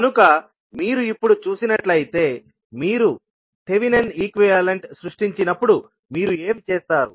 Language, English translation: Telugu, So now, if you see when you create the thevenin equivalent what you do